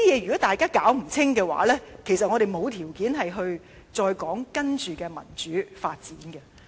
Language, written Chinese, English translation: Cantonese, 如果大家弄不清楚這些的話，其實我們並無條件再討論接着的民主發展。, Without getting this actually we do not have the conditions to further discuss the next step of democratic development